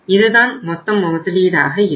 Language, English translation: Tamil, This is going to be the total investment